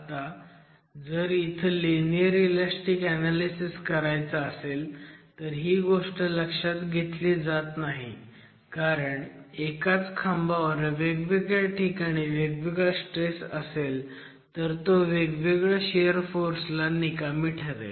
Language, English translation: Marathi, Now if you were to do linear elastic analysis this aspect is not accounted for because the same peer at different levels of pre compression can fail at different levels of shear force